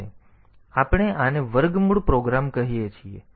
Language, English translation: Gujarati, Now, we are calling this square root program